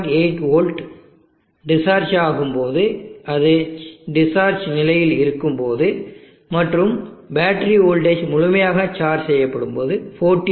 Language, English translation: Tamil, 8 volts when it is in discharge condition and the battery voltage is fully charged is around 14